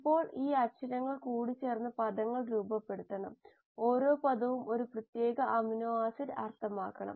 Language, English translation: Malayalam, Now these alphabets have to come together to form words and each word should mean a particular amino acid